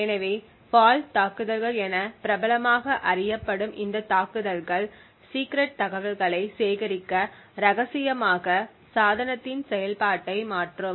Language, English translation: Tamil, So these attacks popularly known as fault attacks would modify the device functionality in order to glean secrets secret information